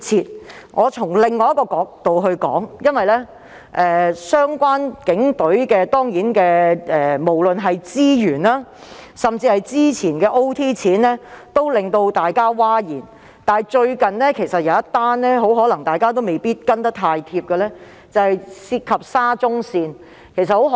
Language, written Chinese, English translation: Cantonese, 讓我從另一角度作出論述，與警隊相關的資源或超時工作津貼問題，均令大眾譁然，但大家可能未必留意到近日一宗涉及沙田至中環綫的事。, Let me talk about this from another angle . Issues relating to the resources or overtime allowance for the Police have caused an uproar in the community but Members may not notice a recent issue concerning the Shatin to Central Link SCL